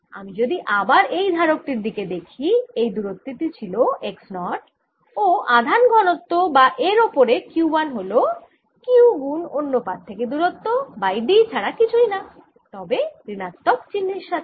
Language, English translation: Bengali, so when, if i look at this capacitor again, this distance was x zero and the charge density or q one on this is equal to nothing but q, the distance from the other plate, divide by d the minus sign